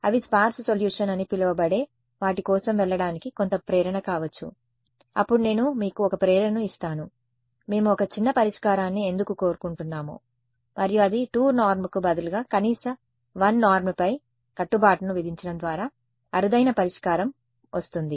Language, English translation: Telugu, They may be some motivation to go for what is called as sparse solution, then I will give you a motivational why we would want a sparse solution and that is sparse solution comes by imposing a norm on the minimum 1 norm instead of 2 norm minimum 1 norm